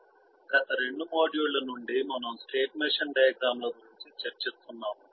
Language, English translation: Telugu, from the last two modules we have been discussing about state machine diagrams